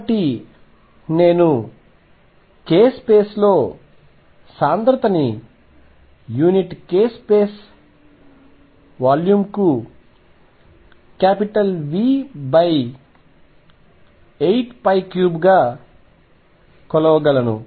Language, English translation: Telugu, So, I can measure density in k space is v over 8 pi cubed per unit k space volume